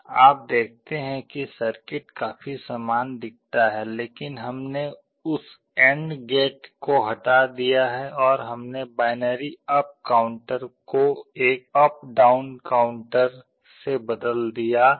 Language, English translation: Hindi, You see the circuit looks quite similar, but we have remove that AND gate, and we have replaced the binary up counter by an up/down counter